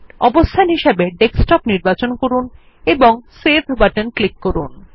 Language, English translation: Bengali, I will choose the location as Desktop and click on the Save button